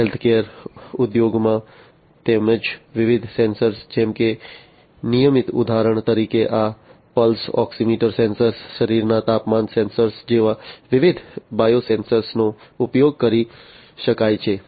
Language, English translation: Gujarati, Health care: in healthcare industry as well different sensors, such as the regular ones for example, different biosensors like you know this pulse oximeter sensor, body temperature sensors could be used